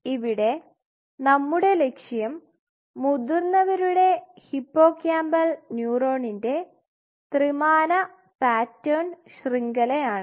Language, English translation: Malayalam, So, desired goal is 3 dimensional 3D pattern network of adult hippocampal neurons